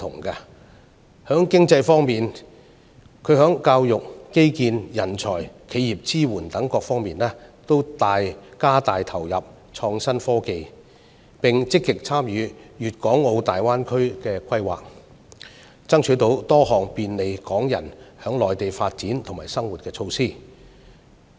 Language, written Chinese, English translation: Cantonese, 在經濟方面，行政長官在教育、基建、人才、企業支援等各方面均加大投入創新科技，並積極參與粵港澳大灣區的規劃，爭取多項便利港人在內地發展和生活的措施。, On the economy front the Chief Executive has invested further resources in innovation and technology in education infrastructure talents and business support . She has also played an active role in the planning of the Guangdong - Hong Kong - Macao Greater Bay Area and striven for a number of measures facilitating Hong Kong peoples development and living in the Mainland